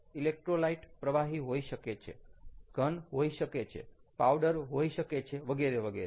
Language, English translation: Gujarati, the electrolyte can be liquid, can be, ah, solid, can be powder and so on